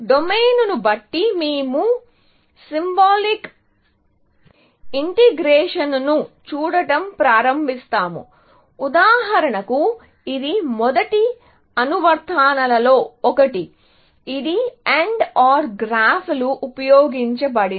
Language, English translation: Telugu, Depending on the domain, we will see a domain; we will start with looking at symbolic integration, for example, which was one of the first applications, which used AND OR graphs